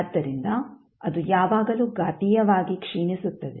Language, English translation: Kannada, So, it will always be exponentially decaying